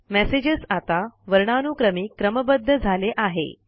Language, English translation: Marathi, The messages are now sorted in an alphabetical order